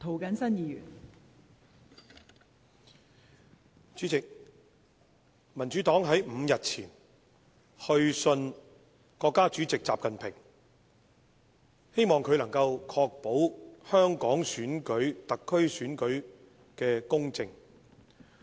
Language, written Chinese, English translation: Cantonese, 代理主席，民主黨5天前曾去信國家主席習近平，希望他能夠確保香港特區特首選舉公正。, Deputy President the Democratic Party wrote to State President XI Jinping five days ago to express our hope that he would ensure the fair conduct of the election of the Chief Executive of the Hong Kong Special Administrative Region SAR